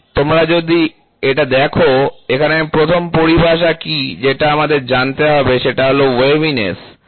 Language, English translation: Bengali, So, if you look at it, so here is what is the first terminology which we have to know is waviness, this is a waviness, ok